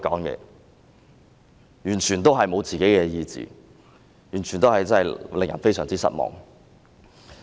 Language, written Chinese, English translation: Cantonese, 這種完全沒有個人意志的表現，實在令人非常失望。, I find it very disappointing that they have completely failed to demonstrate their free will